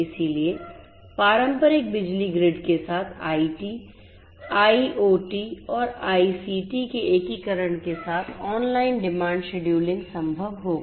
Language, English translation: Hindi, It is also possible through the integration of IT, ICT and IoT with the traditional power grid to have online demand scheduling